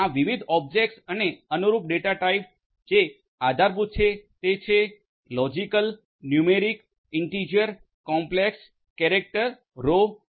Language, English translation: Gujarati, So, these different; these different objects and the corresponding data types that are supported are the logical, numeric, integer, complex, character, raw etcetera